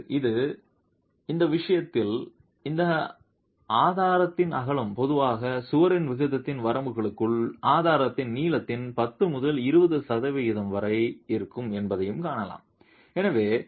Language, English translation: Tamil, Or in this case it has also been seen that the width of the width of this struct is typically between 10 to 20 percent of the length of the strut within limits of the aspect ratio of the wall itself